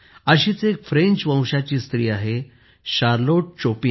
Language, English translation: Marathi, Similarly there is a woman of French origin Charlotte Chopin